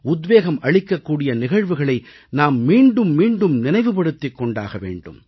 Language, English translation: Tamil, We will have to repeatedly remind ourselves of good inspirational incidents